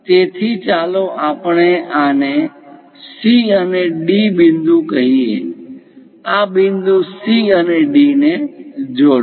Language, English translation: Gujarati, So, let us call points these as C and D; join these points C and D